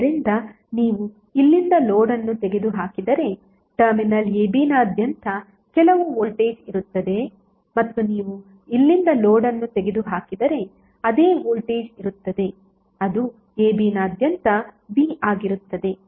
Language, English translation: Kannada, So that means that if you remove load from here there would be some voltage across Terminal a b and if you remove load from here there will be same voltage which would be coming across a b that is V